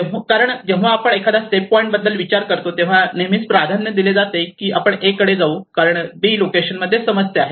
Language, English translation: Marathi, Obviously when we think about if it is a safer point we always prefer yes we may move to A because in B the problem is the mining activity is going in this direction